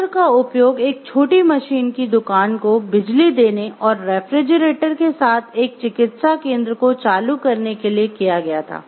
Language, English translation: Hindi, The plant was used to power a small machine shop and support a medical center with a refrigerator